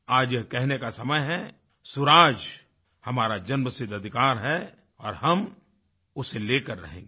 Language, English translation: Hindi, " Today is the time to say that Good Governance is our birth right and we will have it